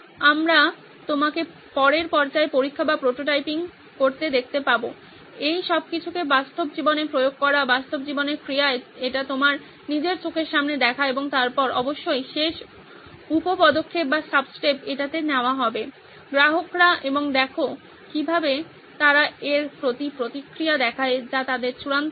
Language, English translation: Bengali, We will see you in the next stage which is test or prototyping, putting all this in action, in real life action, seeing it for yourself in front of your eyes and then of course the last sub step would be to take it to the customers and see how they react to this which is their eventual goal